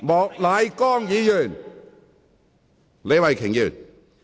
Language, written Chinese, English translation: Cantonese, 莫乃光議員，請坐下。, Mr Charles Peter MOK please sit down